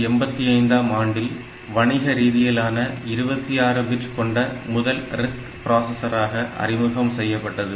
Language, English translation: Tamil, processor so, it started in 1985, as a 26 bit commercial RISC, first commercial RISC